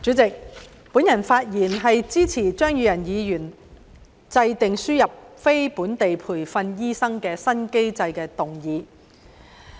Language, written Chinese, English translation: Cantonese, 主席，我發言支持張宇人議員"制訂輸入非本地培訓醫生的新機制"的議案。, President I rise to speak in support of this motion on Formulating a new mechanism for importing non - locally trained doctors moved by Mr Tommy CHEUNG